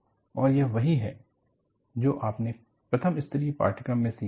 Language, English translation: Hindi, And, this is what, you learn in the first level course